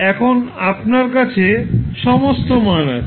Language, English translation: Bengali, Now, you have all the values in the hand